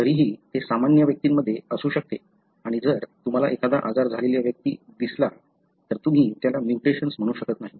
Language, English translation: Marathi, Therefore, still that could be present in the normal individual and if you happen to see an individual who is having a disease, you cannot call that as a mutation